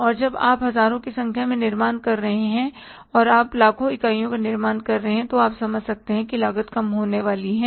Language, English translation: Hindi, And when you are manufacturing thousands of units and when you are manufacturing millions of units, you can understand the cost is going to go down